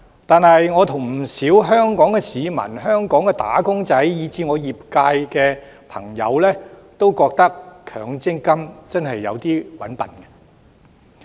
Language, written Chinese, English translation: Cantonese, 然而，我和不少香港市民、香港"打工仔"以至我的業界朋友也認為，強積金真的有點"搵笨"。, Nevertheless just like many members of the public and wage earners in Hong Kong as well as members of my sector I hold that MPF is really dupery